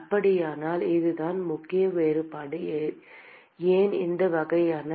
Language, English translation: Tamil, So, that is the key difference why this kind of